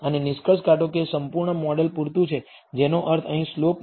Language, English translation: Gujarati, And conclude that a full model is adequate which means the slope is important here